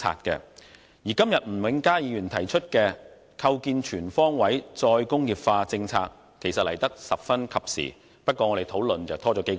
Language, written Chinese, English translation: Cantonese, 今天吳永嘉議員提出的"構建全方位'再工業化'政策體系"議案來得十分及時；不過，我們的討論則拖延了數個月。, The motion on Establishing a comprehensive re - industrialization policy regime moved by Mr Jimmy NG today comes just in time though our discussion has been delayed for months